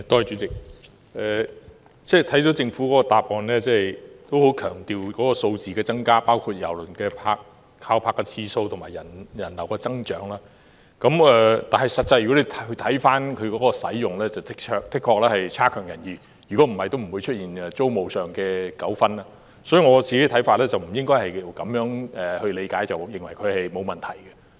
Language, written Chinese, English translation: Cantonese, 主席，政府的答覆十分強調數字的增加，包括郵輪停泊的次數，以及人流的增長，但看回郵輪碼頭的實際使用情況，的確欠佳，否則也不會出現租務上的糾紛，所以我個人看法是，不應該只看數字上的增長，便認為沒有問題。, President the Governments reply attaches great emphasis on the increase in numbers including the number of ship calls and the growth in visitor flow but the actual utilization of KTCT is really unsatisfactory otherwise there will not be any rental dispute . Thus my view is that the Government should not consider that there is no problem just by looking at the increase in numbers